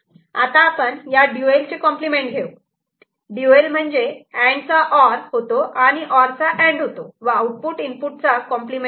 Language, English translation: Marathi, And then we take the compliment the dual of it, dual of it means AND becomes OR, OR becomes AND, and the input, outputs are complemented